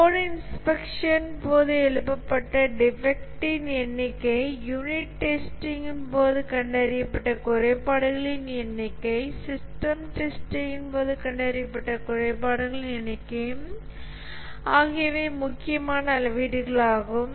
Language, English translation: Tamil, The number of issues raised during code inspection, the number of defects detected during unit testing, the number of defects detected during system testing, these are also important metrics